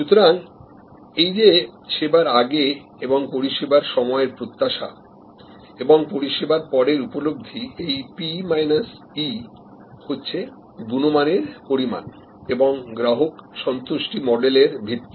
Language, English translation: Bengali, So, perception after service and expectation before service or in service this P minus E is the measure of quality is the foundation of customer satisfaction models